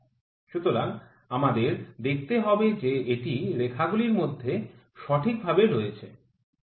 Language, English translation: Bengali, So, we have to see that it is between the lines properly